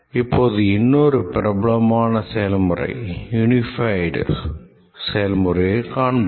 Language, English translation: Tamil, Now let's look at another very popular process, the unified process